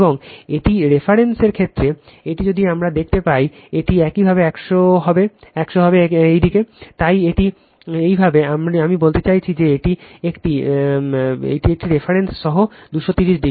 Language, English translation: Bengali, And this is with respect to reference this is if we see this is your 100 your, so this is your I mean this one is this one is your with respect to this is your 230 degree right from with reference